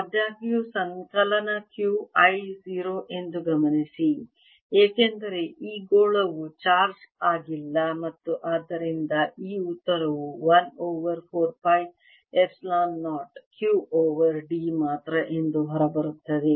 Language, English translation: Kannada, however, notice that summation q i is zero because this sphere is uncharge and therefore this answer comes out to be one over four pi epsilon zero, q over d